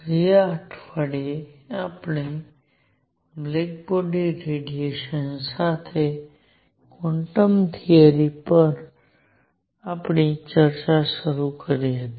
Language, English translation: Gujarati, Last week we started our discussion on quantum theory with black body radiation